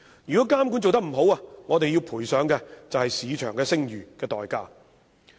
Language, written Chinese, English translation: Cantonese, 如果監管做得不好，我們便要賠上市場聲譽作為代價。, If our regulation is not good enough our market reputation will be sacrificed